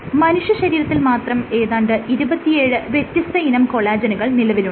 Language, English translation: Malayalam, So, that there are 27 distinct types of human collagen